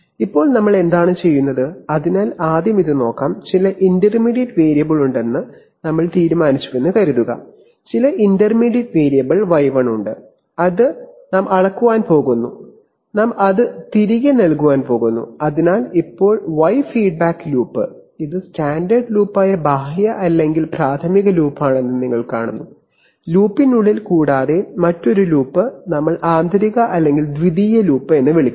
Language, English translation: Malayalam, So now what are we doing, so let us look at this first of all, suppose we have decided that there is some intermediate variable, there is some intermediate variable y1 which I am going to measure and I am going to feed it back, so you see that now the y feedback loop, this is the outer or primary loop which is the standard loop, in addition to that inside the loop we have put another loop which we call the inner or the secondary loop